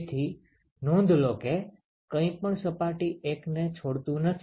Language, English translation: Gujarati, So, note that there is nothing that is leaving surface 1